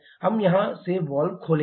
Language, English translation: Hindi, We will open the valves from here